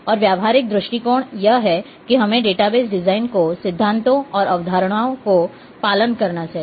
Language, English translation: Hindi, And the practical approaches are that we should follow the principles and concepts of database design